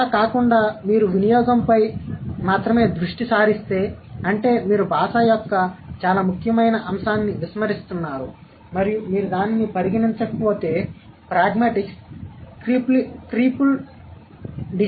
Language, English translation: Telugu, Otherwise if you only focus on usage, that means you are ignoring a very important aspect of language and pragmatics would be a cripple discipline if we don't consider that